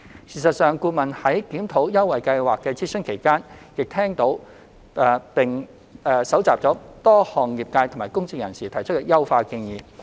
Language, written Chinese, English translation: Cantonese, 事實上，顧問在檢討優惠計劃的諮詢期間，亦聽取並收集了多項業界和公眾人士提出的優化建議。, In fact during the consultation exercise for the review of the Scheme the consultant has listened to and collected a number of optimization proposals from the industry and the public